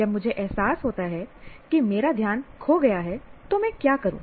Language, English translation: Hindi, And then what happens when I realize that I seem to have lost attention, then what do I do